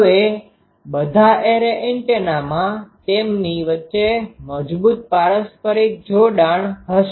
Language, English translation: Gujarati, Now for all array antennas so there will be strong mutual coupling between them